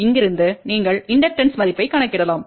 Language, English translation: Tamil, And from here you can calculate the value of inductor which is given by this